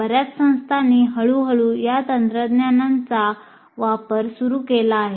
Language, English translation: Marathi, And many institutes are slowly started using these technologies